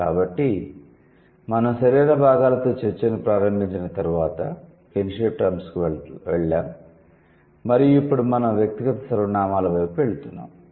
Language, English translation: Telugu, So, moving on, when we, when we started the discussion with the body parts, then we move to the kinship terms and now we are moving towards the personal pronouns